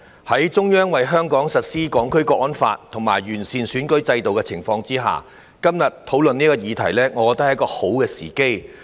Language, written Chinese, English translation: Cantonese, 在中央為香港實施《香港國安法》和完善選舉制度的情況下，今天討論這個議題，我認為是好的時機。, In my opinion today is a good opportunity to discuss this subject given that the Central Authorities are implementing the National Security Law for Hong Kong and improving the electoral system of Hong Kong